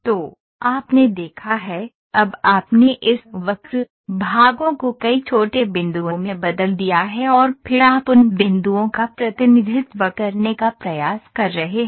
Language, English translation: Hindi, So, you have seen, now you have you have discretized this this curve, parts into several small points and then you are trying to represent those points